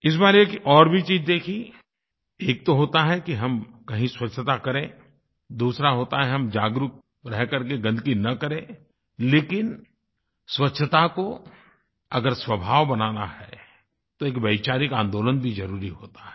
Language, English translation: Hindi, I noticed something else this time one is that we clean up a place, and the second is that we become aware and do not spread filth; but if we have to inculcate cleanliness as a habit, we must start an idea based movement also